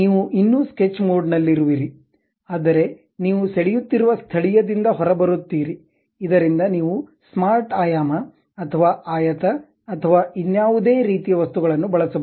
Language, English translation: Kannada, You are still at the sketch mode, but that local level where you are drawing you will be coming out, so that you can use some other two like smart dimension, or rectangle, or any other kind of things